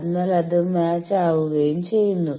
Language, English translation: Malayalam, So, that it becomes matched